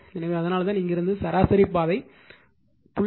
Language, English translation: Tamil, So, that is why from here to here the mean path it is marked 0